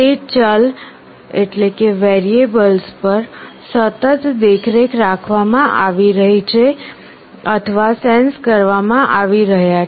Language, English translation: Gujarati, Those variables are being continuously monitored or sensed